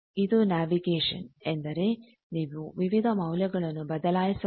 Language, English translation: Kannada, This is navigation means you can change various values, you can see any other thing